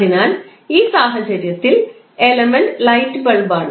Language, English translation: Malayalam, So, in this case the element is light bulb